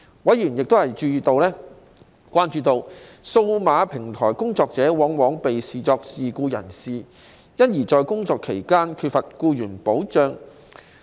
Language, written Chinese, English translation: Cantonese, 委員關注到，數碼平台工作者往往被視作自僱人士，因而在工作期間缺乏僱員保障。, Members were concerned that as digital platform workers were often considered as self - employment persons they lacked employment protection at work